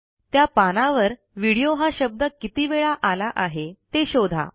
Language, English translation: Marathi, Find how many times the word video appears in the page